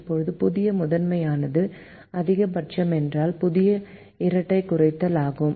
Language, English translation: Tamil, since the new primal is maximization, the new dual will be minimization